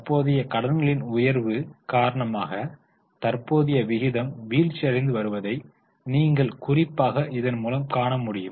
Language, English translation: Tamil, Particularly you see that because of rise in the current liabilities, the current ratio is falling